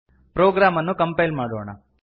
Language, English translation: Kannada, Let us compile the program